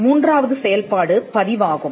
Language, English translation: Tamil, The third function is a registration